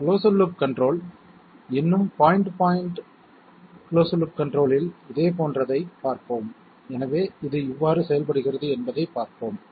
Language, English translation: Tamil, Let us see a similar problem in closed loop control, point to point still but closed loop control, so let us have a look how it works